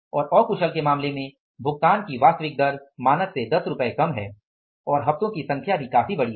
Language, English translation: Hindi, And in case of the unskilled, the actual rate paid is less by 10 rupees as against the standard and number of weeks is also quite large